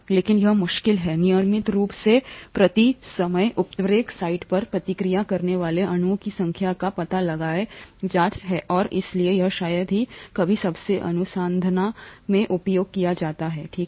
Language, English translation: Hindi, But it’s rather difficult to find out the number of molecules reacted per catalyst site per time through regular investigations and therefore it is rarely used even in most research, okay